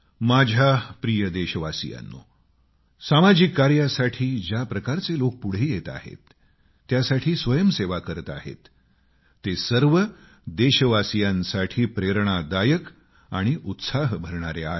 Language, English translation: Marathi, My dear countrymen, the way people are coming forward and volunteering for social works is really inspirational and encouraging for all our countrymen